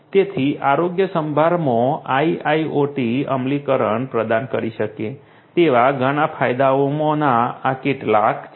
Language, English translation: Gujarati, So, these are some of the main benefits that IIoT implementation in healthcare can provide